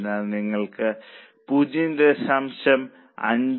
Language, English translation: Malayalam, It is 0